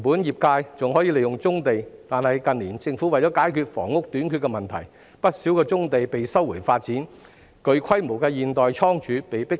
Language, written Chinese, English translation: Cantonese, 業界本可利用棕地，但近年政府為解決房屋短缺的問題，不少棕地被收回發展，具規模的現代倉儲亦被迫遷。, The sector could have used brownfield sites but many of them have been resumed for development and sizeable modern storage houses have been forced to relocate in recent years as part of the Governments attempt to tackle the problem of housing shortage